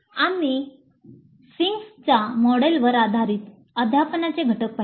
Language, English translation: Marathi, We saw the components of teaching based on Fink's model